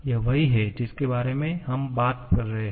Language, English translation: Hindi, This is the one that we are talking about